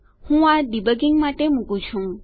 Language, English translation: Gujarati, I put them for debugging